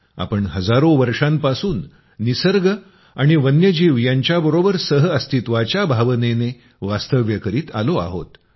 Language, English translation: Marathi, We have been living with a spirit of coexistence with nature and wildlife for thousands of years